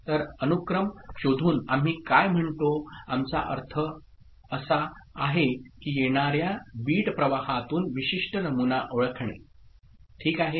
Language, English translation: Marathi, So, by a sequence detection what we what we mean is that identifying a specific pattern from the incoming bit stream, ok